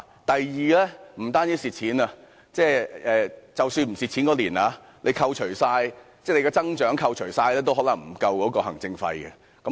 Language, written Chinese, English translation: Cantonese, 第二，不單是虧損，即使該年度沒有虧損，所得增長也可能無法支付行政費。, Second even if no loss is recorded for the year the growth in benefits will not be adequate to meet the management fees